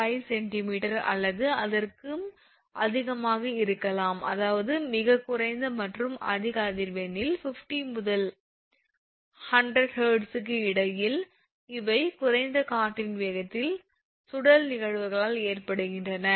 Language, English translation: Tamil, 5 centimeter or so; that means, very low and at high frequencies that is in between 50 to 100 hertz these are actually caused by the by the vortex phenomena in the low wind speed right